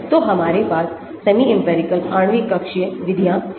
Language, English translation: Hindi, So, we have the semi empirical molecular orbital methods